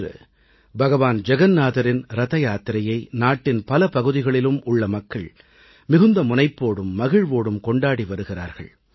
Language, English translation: Tamil, The Car festival of Lord Jagannath, the Rath Yatra, is being celebrated in several parts of the country with great piety and fervour